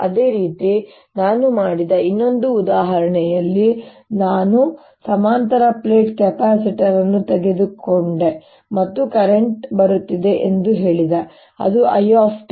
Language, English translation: Kannada, similarly, in the other example, what i did, i took a parallel plate capacitor and i said there is a current which is coming in which is i t